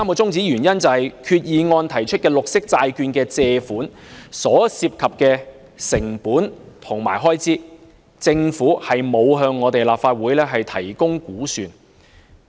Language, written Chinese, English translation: Cantonese, 第三，擬議決議案提出的綠色債券借款所涉及的成本和開支，政府沒有向立法會提供估算。, Third the Government has not provided the Legislative Council with an estimate of the costs and expenses associated with the borrowings raised by green bonds as proposed in the proposed Resolution